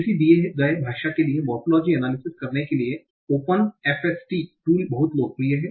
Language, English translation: Hindi, Again, the open FSTST tools is very very popular for doing the morphological analysis for a given language